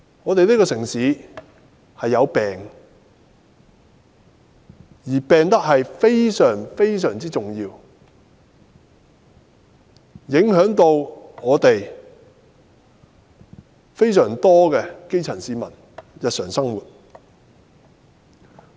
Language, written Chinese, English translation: Cantonese, 香港這城市已患病，而且病得非常、非常嚴重，影響到非常多基層市民的日常生活。, Since the city of Hong Kong has fallen extremely ill the daily lives of a considerable number of grass - roots people have been affected